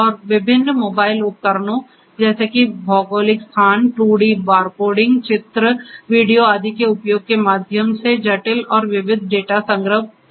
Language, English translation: Hindi, And complex and variety of data collection is possible through the use of different mobile devices such as geographical locations, 2D barcoding, pictures, videos etcetera